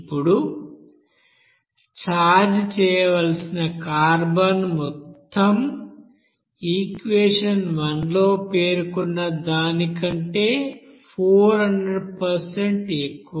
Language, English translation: Telugu, Now the amount of carbon to be charged is 400% in excess of that required according to equation one